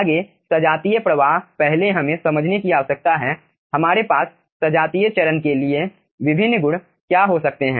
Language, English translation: Hindi, next, as it is homogeneous flow, first we need to understand what are the different properties we can have for homogeneous phase